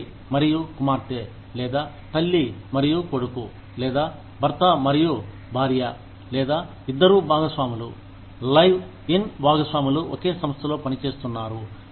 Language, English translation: Telugu, Father and daughter, or mother and son, or husband and wife, or two partners, live in partners are working, in the same organization